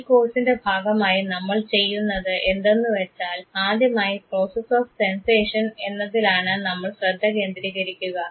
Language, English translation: Malayalam, What we will do as part of this very course is that initially our focus would be on the process of sensation